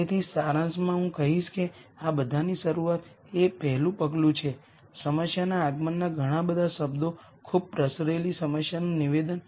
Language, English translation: Gujarati, So, in summary I would say the start of all of this is the first step is a problem arrival whole lot of words very diffuse problem statement